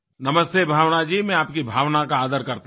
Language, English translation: Hindi, Namaste Bhawnaji, I respect your sentiments